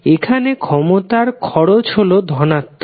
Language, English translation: Bengali, The power consumption is positive